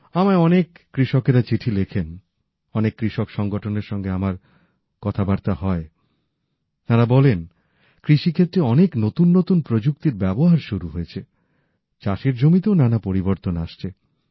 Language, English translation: Bengali, I get many such letters from farmers, I've had a dialogue with farmer organizations, who inform me about new dimensions being added to the farming sector and the changes it is undergoing